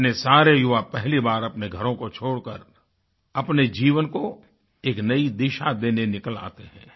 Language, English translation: Hindi, This multitude of young people leave their homes for the first time to chart a new direction for their lives